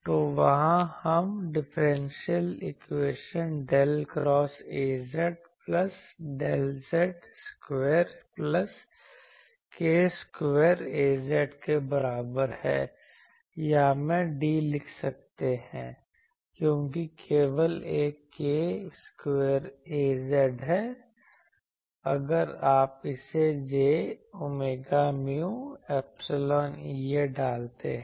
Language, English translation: Hindi, So, there we can write the differential equation del square A z plus del z square plus k square A z is equal to or I can write d, because there is only one k square A z is what, if you put it j omega mu epsilon E A